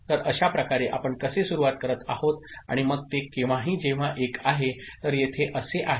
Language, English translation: Marathi, So, this is how we are starting and then when so that when one, so, this is the case over here